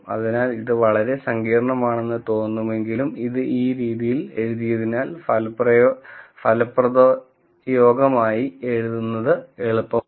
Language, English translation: Malayalam, So, while this looks little complicated, this is written in this way because it is easier to write this as one expression